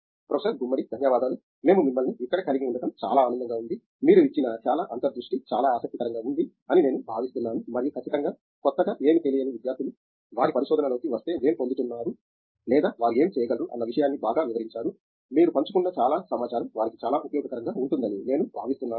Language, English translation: Telugu, Thank you Professor Gummadi, it is a pleasure that we could have you here and I think a lot of insight you have given which is very I think you know, very interesting to look at and I think a certainly students work you know new you are considering who do not know exactly, what they are getting into or what they may be getting into if they get into research